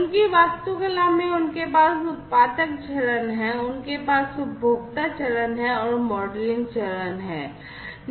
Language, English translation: Hindi, In their architecture they have the producer phase, they have the consumer phase, and the modelling phase